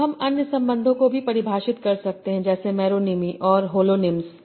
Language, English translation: Hindi, Now we can also define other relations like meronyms and holonyms